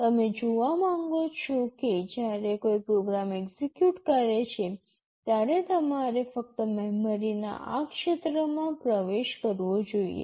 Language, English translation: Gujarati, You want to see that when a program is executing, you are supposed to access only this region of memory